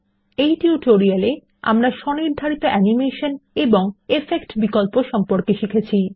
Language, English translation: Bengali, In this tutorial we learnt about Custom animation, Effect options Here is an assignment for you